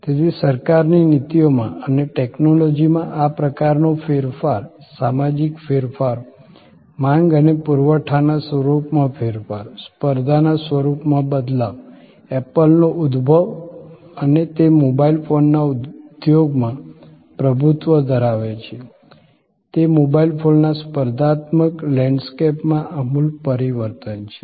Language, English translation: Gujarati, So, this kind of change in technology change in government policies social changes, changing the nature of demand and supply changing the nature of competition the emergence of apple and it is dominants in the mobile phone industry is a radical change in the competitive landscape of mobile phones